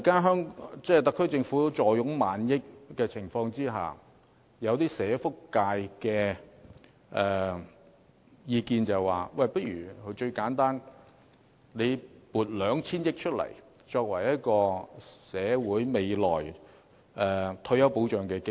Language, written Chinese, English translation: Cantonese, 因此，在特區政府目前坐擁過萬億元儲備的情況下，社福界有意見認為最簡單的做法是撥出 2,000 億元作為社會未來的退休保障基金。, Hence given that the SAR Government currently has a fiscal reserve in excess of 1,000 billion there is a view in the welfare sector that the simplest approach is to set aside 200 billion for setting up a retirement protection fund for society in the future